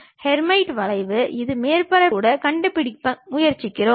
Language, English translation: Tamil, Hermite curve, which we are trying to locate even on the surface